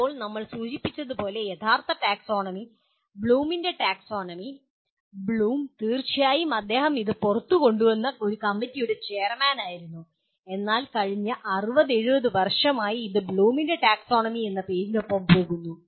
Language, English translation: Malayalam, Now the as we mentioned, the original taxonomy, Bloom’s taxonomy, Bloom, of course he was a chairman of a committee that came out with but it the last 60, 70 years it goes with the name of as Bloom’s taxonomy